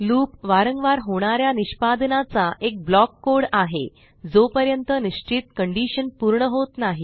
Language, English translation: Marathi, Loop is a block of code executed repeatedly till a certain condition is satisfied